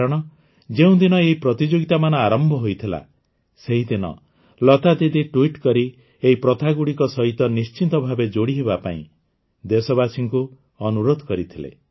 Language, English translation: Odia, Because on the day that this competition had started, Lata Didi had urged the countrymen by tweeting that they must join this endeavour